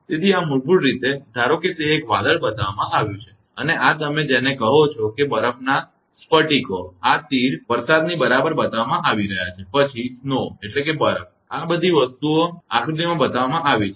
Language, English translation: Gujarati, So, this is basically suppose it is a cloud is shown and this you are what you call that ice crystals are showing by this arrow right the rain, then snow, all these things are shown in the diagram